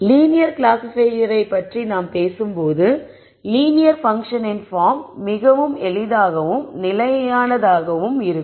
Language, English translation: Tamil, When we talk about linear classifiers the linear functional form is fixed it is very simple